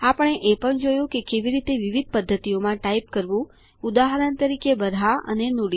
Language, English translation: Gujarati, We also saw how to type in different methods, for example, Baraha and Nudi